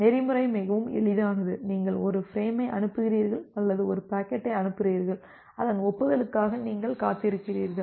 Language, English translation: Tamil, The protocol is pretty simple that you send a frame or you send a packet and then, you wait for its acknowledgement